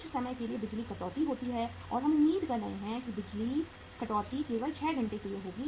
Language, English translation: Hindi, Sometime there is a power cut and we are expecting that the power cut will be only for say 6 hours